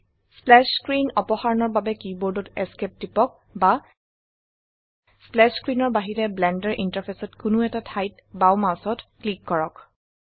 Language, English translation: Assamese, To remove the splash screen, press ESC on your keyboard or left click mouse anywhere on the Blender interface other than splash screen